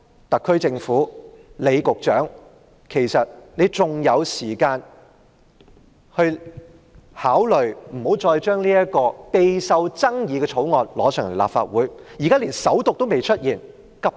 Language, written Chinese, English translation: Cantonese, 特區政府和李局長還有時間，可以考慮不要把這項備受爭議的《條例草案》提交立法會，現時《條例草案》尚未首讀，無需急於處理。, The SAR Government and Secretary John LEE still have time to consider not presenting this controversial Bill to the Legislative Council . The Bill has yet to be read the First time and there is no urgency to deal with it